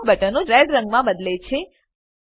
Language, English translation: Gujarati, All the buttons change to Red color